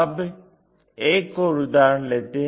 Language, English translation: Hindi, Now, let us look at a new example